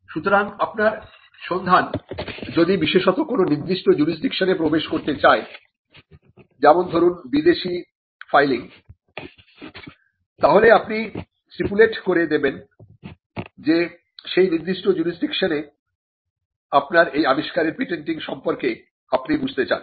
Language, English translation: Bengali, So, or if your search is particularly to enter a particular jurisdiction; say, a foreign filing then you would stipulate that you need to understand what is the patenting on this invention in a particular jurisdiction